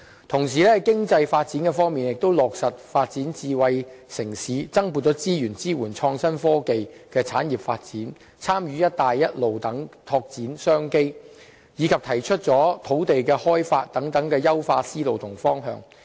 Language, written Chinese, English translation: Cantonese, 同時，在經濟發展方面亦落實發展智慧城市、增撥資源支援創新科技的產業發展、參與"一帶一路"等拓展商機，以及提出土地的開發等優化思路和方向。, Meanwhile in respect of economic development the Government adopts an enhanced mindset and is set to materialize the development of a smart city allocate additional resources to support industrial development in innovative technology participate in the Belt and Road Initiative to expand business opportunities and open up more land for development